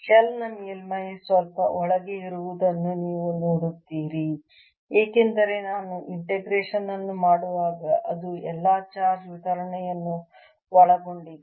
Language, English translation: Kannada, you see, the surface of the shell is slightly inside because when i am doing this integration it includes all the charge distribution